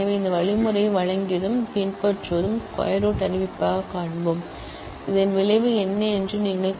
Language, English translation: Tamil, So, given and following this algorithm, we will find the square root declaratively, you can just say that what is the result